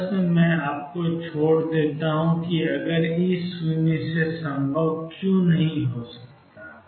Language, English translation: Hindi, Question I leave you with is why is E less than 0 not possible